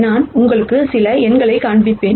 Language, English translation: Tamil, I will just show you some numbers